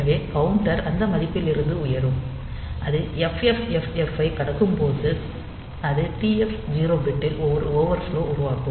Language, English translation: Tamil, So, the counter will be upcounting from that value and when it crosses FFFF, then it will generate an overflow in TF 0 bit